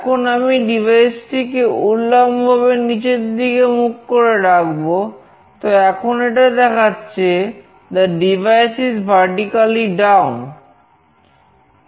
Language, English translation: Bengali, Now, I will make this device vertically down, now this is showing that the devices vertically down